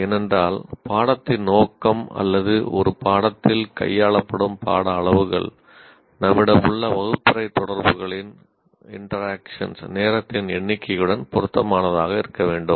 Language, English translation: Tamil, Because the level of the content, the scope of the course are the amount of content that is dealt with in a course should be commensurate with the number of classroom hour of interactions that we have